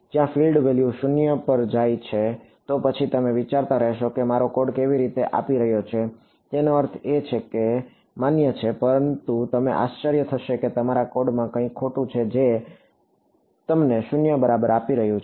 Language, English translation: Gujarati, Where the field value goes to 0, then you will keep thinking that how is whether my code is giving I mean that is also valid, but you might wonder if there is something entirely wrong with your code that is giving you 0 right